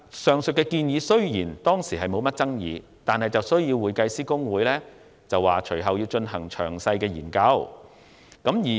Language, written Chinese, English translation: Cantonese, 雖然上述建議當時並無引起甚麼爭議，但公會其後表示需進行詳細研究。, Although the above mentioned proposal was uncontentious HKICPA subsequently said that it had to conduct detailed study